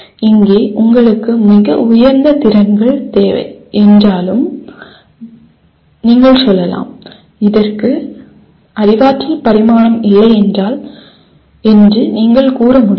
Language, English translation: Tamil, Here you require extremely high end skills though you cannot say that there is no cognitive dimension to this